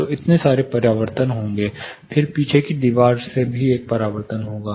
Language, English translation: Hindi, So, so many reflections would happen; then there will be a reflection from the rear wall